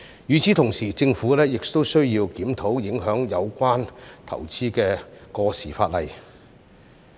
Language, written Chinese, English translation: Cantonese, 與此同時，政府亦需要檢討影響有關投資的過時法例。, At the same time the Government should also review some obsolete legislation that would have a bearing on investment